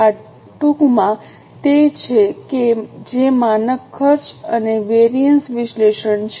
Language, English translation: Gujarati, This is in nutshell what is standard costing and variance analysis